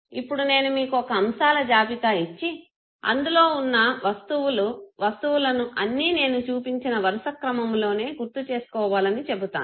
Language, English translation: Telugu, Now if I give you a list of items and then tell you that you have to recollect information in the order in which it was presented to you